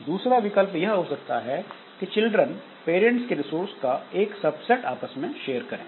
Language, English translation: Hindi, Second option that we can have is children share subset of parents resources